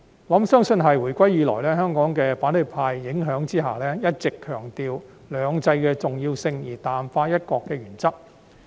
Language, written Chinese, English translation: Cantonese, 我相信是因為回歸以來，香港在反對派的影響下，一直強調"兩制"的重要性，卻淡化"一國"的原則。, I believe that it is attributable to the long - standing emphasis on two systems and the playing down of the one country principle under the influence of the opposition camp since reunification